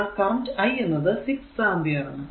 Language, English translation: Malayalam, So, it is your minus 1 I is equal to 6 ampere